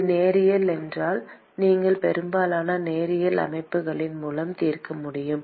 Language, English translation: Tamil, If it is linear, you should be able to solve, by and large most of the linear system